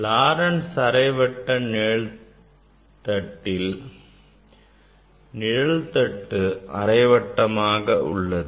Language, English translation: Tamil, Laurent s half shade; it is half of this circle